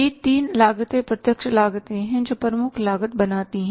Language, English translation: Hindi, These three costs are the direct cost which make the prime cost